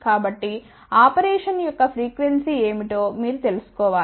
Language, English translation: Telugu, So, you should know what is the frequency of operation